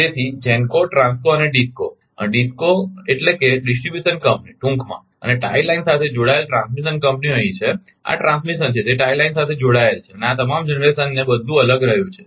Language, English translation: Gujarati, So, GENCO TRANSCO and DISCO DISCO means distribution company in short and transmission companies connected to a tie line same is here this is transmission, it is connected to a tie line and this all generation everything has been a separate